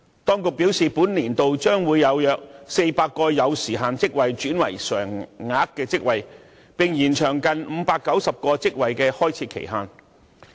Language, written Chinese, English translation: Cantonese, 當局表示，本年度將會有約400個有時限職位轉為常額職位，並延長近590個職位的開設期限。, According to the authorities about 400 time - limited posts will be made permanent and close to 590 time - limited posts will be extended in this financial year